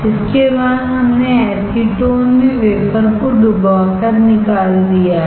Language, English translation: Hindi, Now I have dipped this wafer in acetone